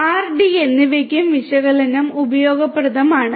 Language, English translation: Malayalam, So, for R and D also analytics is useful